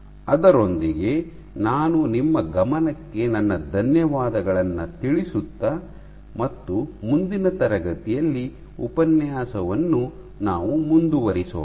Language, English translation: Kannada, With that I thank you for your attention and we will continue in next class